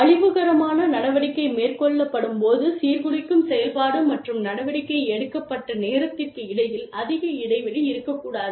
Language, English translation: Tamil, When the destructive action has been committed, there should not be too much of a gap, between, the time that the disruptive activity was committed, and the action was taken